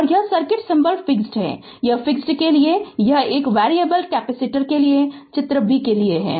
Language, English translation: Hindi, And this is circuit symbol fixed, this is for fixed and this is for figure b for variable capacitor right